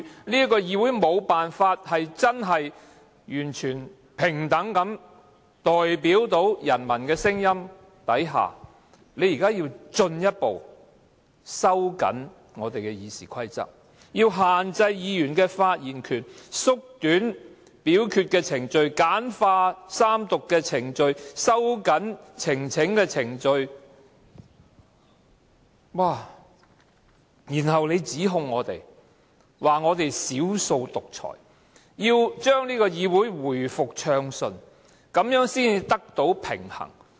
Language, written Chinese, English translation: Cantonese, 這個議會在無法真正完全平等地代表人民的聲音下，現在還要進一步收緊《議事規則》，限制議員的發言權、縮短表決的程序、簡化三讀的程序、收緊呈請的程序，然後還指控我們是"少數獨裁"，要將議會回復暢順，才可以得到平衡。, The public are already unable to have any equal representation of their voices in this legislature but now you people still want to tighten the Rules of Procedure limit Members right to speak shorten the voting procedures simplify the proceedings of three readings and tighten the pre - requisites for presenting a petition . And besides all this you people even accuse us of dictatorship of the minority saying that your intention is to restore smooth operation and balance in the legislature